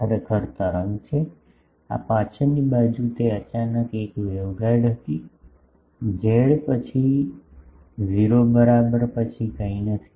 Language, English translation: Gujarati, It is the wave actually, this backside it was a waveguide suddenly, after this at z is equal to 0 nothing is there